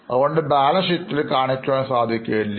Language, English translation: Malayalam, That's why human assets you won't see in the balance sheet